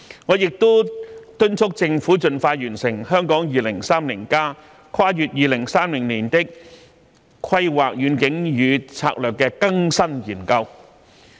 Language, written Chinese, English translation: Cantonese, 我亦敦促政府盡快完成《香港 2030+： 跨越2030年的規劃遠景與策略》的更新研究。, I have also urged the Government to expeditiously complete the Hong Kong 2030 Towards a Planning Vision and Strategy Transcending 2030 which is an updated study